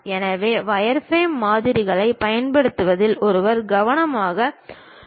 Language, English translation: Tamil, So, one has to be careful in terms of using wireframe models